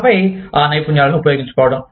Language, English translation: Telugu, And then, utilizing those skills